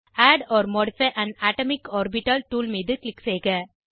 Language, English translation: Tamil, Click on Add or modify an atomic orbital tool